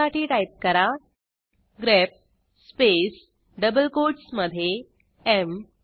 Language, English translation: Marathi, We would simply type grep space within double quotes M..